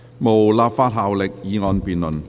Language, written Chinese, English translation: Cantonese, 無立法效力的議案辯論。, Debates on motions with no legislative effect